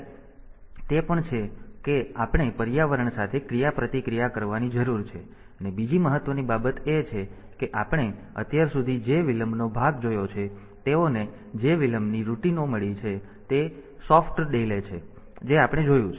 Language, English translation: Gujarati, So, it is also the we need to interact with the environment, and the second important thing is that the delay part that we have seen so far, the delay routines they have got they are they are soft delay that we have seen